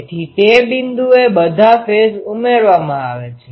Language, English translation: Gujarati, So, at that point all are added in phase